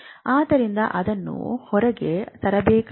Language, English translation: Kannada, So, that has to be brought out